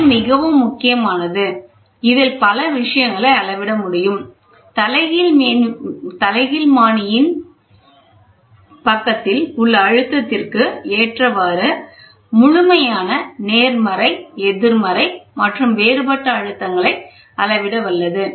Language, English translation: Tamil, This is very very important, it can measure multiple things, it is capable of measuring absolute, positive, negative and differential pressure depending on the pressure on the reference side of the bell